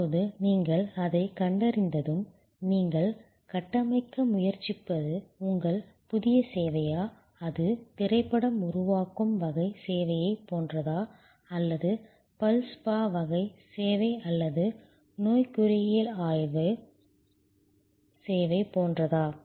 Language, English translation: Tamil, Now, once you have identified that, whether it is your new service that you are trying to configure, whether it is like a movie making type of service or like a dental spa type of service or a pathology lab type of service